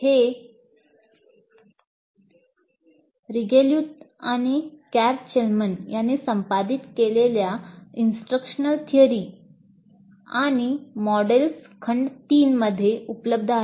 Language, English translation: Marathi, This is available in the instructional theories and models volume 3 edited by Regulath and Karl Chalman